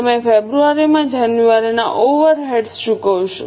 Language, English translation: Gujarati, You will pay the January overrates in February